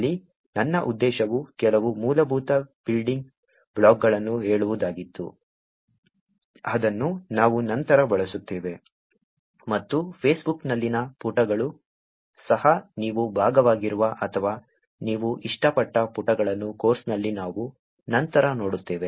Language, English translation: Kannada, My point here was only to say some basic building blocks which we will actually use it later and there also pages in Facebook, which we will look at later in the course which is the pages that you are part of, or that you have liked